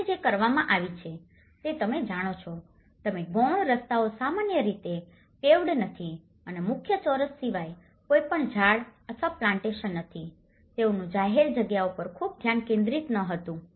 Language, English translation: Gujarati, And which has been you know, you can see the secondary roads are not normally paved and they do not have any trees or plantation except for the main squares they have not concentrated much on the public spaces